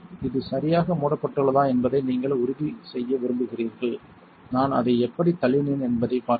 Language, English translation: Tamil, You want to make sure this is properly closed, see how I kind of pushed it